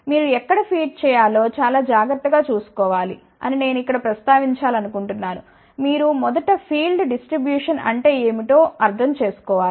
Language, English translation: Telugu, I just want to mention here you have to be very careful where to feed, you first should understand what is the field distribution